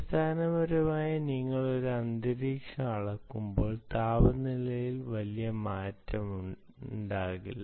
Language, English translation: Malayalam, see, essentially, when you are measuring an ambient environment ah, the temperatures dont change drastically